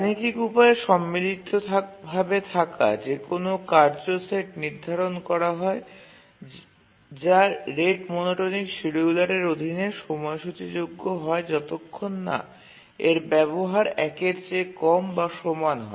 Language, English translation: Bengali, Now let's through a simple mathematics, let's show that any harmonically related task set is schedulable under the rate monotonic scheduler as long as its utilization is less than or equal to one